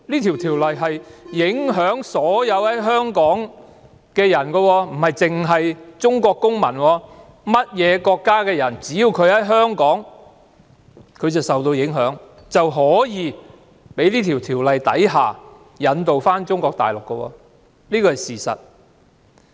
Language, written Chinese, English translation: Cantonese, 《條例草案》影響所有在香港的人，不單影響中國公民，而是所有國家在香港的人民也有機會因《條例草案》被引渡到中國大陸，這是事實。, The Bill will affect everyone in Hong Kong . The fact is that not only Chinese citizens but people of all nationalities in Hong Kong may be extradited to Mainland China because of the Bill